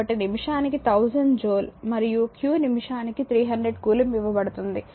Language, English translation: Telugu, So, 1000 joule per minute and q is given that 300 coulomb per minute